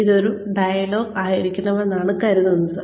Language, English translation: Malayalam, It is supposed to be a dialogue